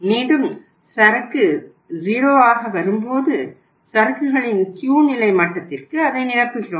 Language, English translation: Tamil, Again, when the inventory comes down to 0 then we replenish it with the same level that is the Q level of inventory